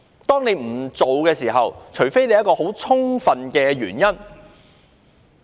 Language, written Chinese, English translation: Cantonese, 當你不做某程序，便須有很充分的原因。, When you omit a certain procedure you need to have sufficient reasons for the omission